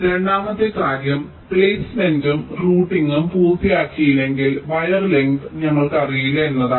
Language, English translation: Malayalam, and the second point is that unless placement and outing are completed, we do not know the wire lengths